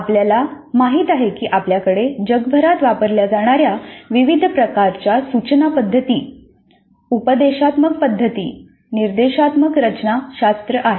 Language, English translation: Marathi, We know that we have a wide variety of instructional approaches, instructional methods, instructional architectures that are being used across the world